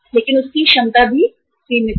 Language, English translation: Hindi, But his capacity is also limited